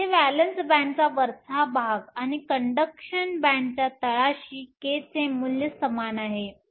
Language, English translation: Marathi, Here the top of the valence band and bottom of the conduction band have the same value of K